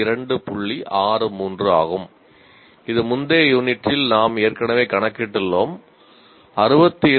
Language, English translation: Tamil, 63 that we have already calculated in the previous unit